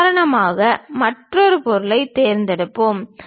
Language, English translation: Tamil, For example, let us pick another object